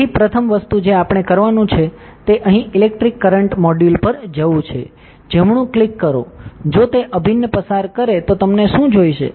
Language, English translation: Gujarati, So, first thing that we have to do is go to the electric current module here right click, if it pass an integral what do you need